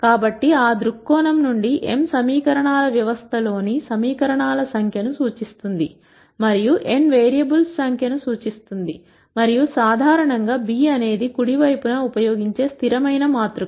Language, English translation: Telugu, So, from that viewpoint, m represents the number of equations in the system of equations and n represents the number of variables, and in general b is the constant matrix that is used on the right hand side